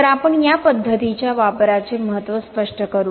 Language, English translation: Marathi, So let me explain the significance in use of this method